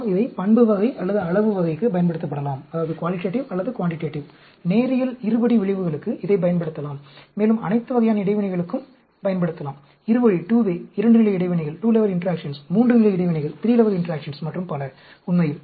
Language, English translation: Tamil, We can use it for qualitative or quantitative; we can use it for linear, quadratic effects; also, all types of interactions, two way, 2 level interactions, 3 level interactions and